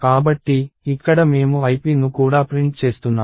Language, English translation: Telugu, So, here we are also printing ip